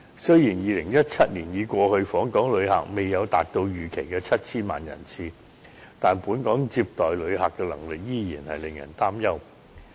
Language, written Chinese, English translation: Cantonese, 雖然2017年已過去，訪港旅客未有達到預期的 7,000 萬人次，但本港接待旅客的能力依然令人擔憂。, Although 2017 was over and the number of visitor arrivals did not reach the estimated 70 million the visitor receiving capacity of Hong Kong is still a cause for worry